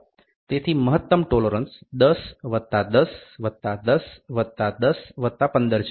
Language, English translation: Gujarati, So, the maximum tolerance is 10 plus 10 plus 10 plus 10 plus 15, ok